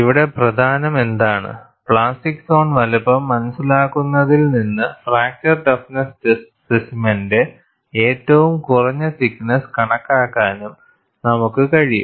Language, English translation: Malayalam, And what is important is, from the understanding of plastic zone size, it is also possible for us, to estimate a minimum thickness of fracture toughness test specimen